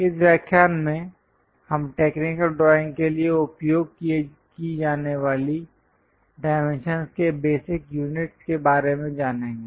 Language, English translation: Hindi, In today's, we will learn about basic units of dimensions to be use for a technical drawing